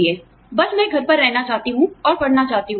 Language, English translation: Hindi, I just want to stay at home and read